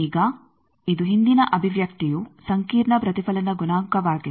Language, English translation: Kannada, Now, this is what is the previous expression was the complex reflection coefficient